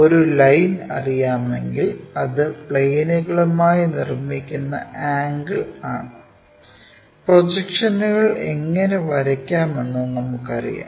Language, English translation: Malayalam, There we will ask different questions, if a line is known what is the angle it is making with the planes we know how to draw projections